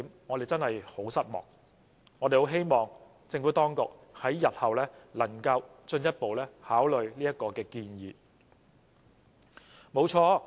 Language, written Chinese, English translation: Cantonese, 我們希望政府當局日後能進一步考慮這項建議。, We hope that the Administration will further consider this proposal in the future